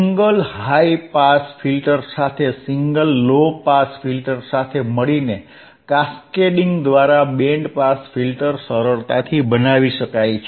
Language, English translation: Gujarati, Now simple bBand pass filter the second point can be easily made by cascading together a single low pass filter with a single high pass filters, so easy very easy, right